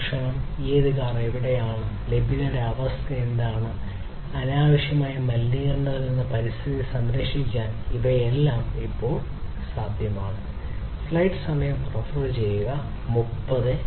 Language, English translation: Malayalam, Instantly you know which car is where, and what is the availability status, and protecting the environment from unnecessary pollution all of these things are now possible